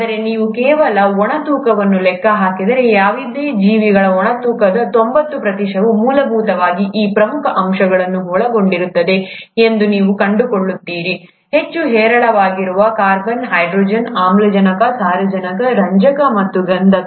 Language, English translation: Kannada, But if you were to just account for the dry weight, you’ll find that the ninety percent of a dry weight of any living being essentially consists of these major elements – the most abundant being the carbon, hydrogen, oxygen, nitrogen, phosphorous and sulphur